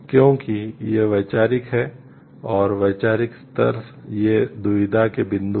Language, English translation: Hindi, Because these are conceptual and the conceptual level these are points of dilemma questions